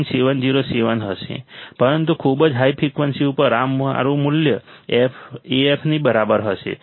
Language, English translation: Gujarati, 707, but at very high frequency my value will be equal to Af